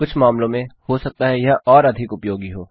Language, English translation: Hindi, It may be more useful in some cases